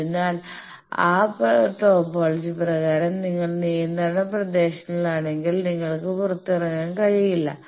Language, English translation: Malayalam, So, if you are in prohibited regions by that topology you cannot come out